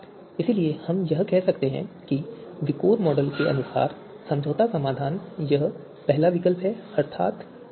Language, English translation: Hindi, So therefore we can you know say that compromise solution as per VIKOR model here is this first alterative the Corsa car